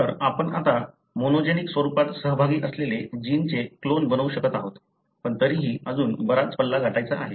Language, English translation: Marathi, So, we are able to now clone the gene involved in a monogenic form, but still it is a long way to go